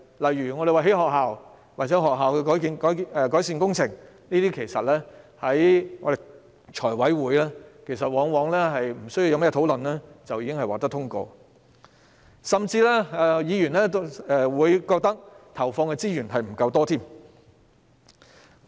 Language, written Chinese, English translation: Cantonese, 例如興建學校或進行學校改善工程的建議，在財務委員會上往往沒有甚麼爭議便通過，甚至有議員覺得投放的資源並不足夠。, For example proposals of building schools or implementing school improvement works were often passed in the Finance Committee without much dispute . Some Members even considered the resource input insufficient